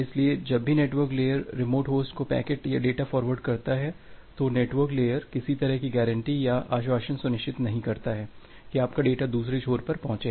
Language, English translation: Hindi, So, whenever the network layer forwards packets or forwards data to an remote host, the network layer does not ensure that there is a kind of guaranty or assurance that your data will be delivered at the other end